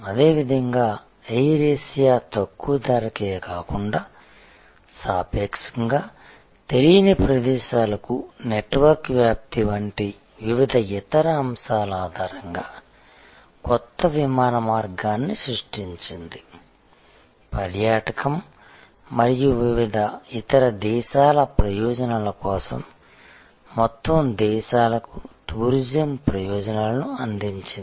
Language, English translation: Telugu, Similarly, Air Asia has created a new way of flying that is of course, based on not only low cost, but different other things like a spread of network to many relatively unknown places, opening up whole countries to the benefits of tourism and various other things